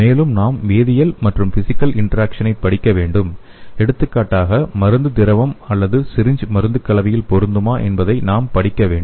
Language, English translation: Tamil, Further, we have to study the chemical as well as physical interaction for example we have to study whether the drug is compatible in fluid or syringe mixture